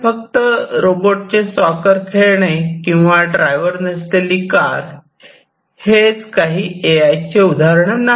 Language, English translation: Marathi, But, it is not just robot playing soccer, it is not just the driverless cars where, AI has found application